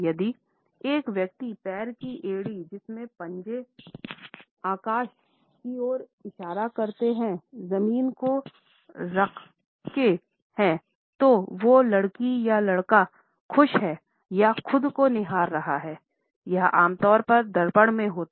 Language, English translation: Hindi, If a person has the heel of one foot on the ground with the toes pointed to the sky; he or she is happy or admiring themselves; this usually happens in a mirror